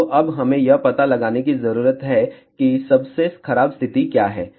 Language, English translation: Hindi, So, now we need to find what is the worst case condition